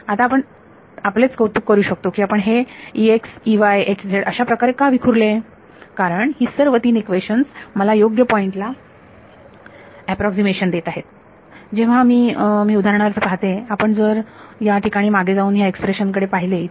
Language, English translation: Marathi, So, now you can appreciate why we have staggered E x E y H z in such a way because all the three equations are giving me an approximation at the correct point; when I take for example, if you look back here look at this expression over here